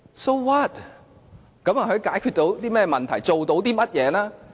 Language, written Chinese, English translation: Cantonese, 這又解決到甚麼問題，做到甚麼呢？, Is this going to resolve the problems? . What exactly can this achieve?